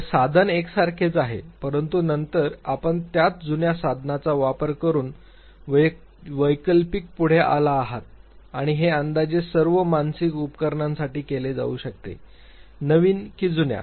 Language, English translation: Marathi, So, the tool remains the same, but then you have come forward with an alternate using the same old tool and this can be done for approximately all psychological apparatus whether new or old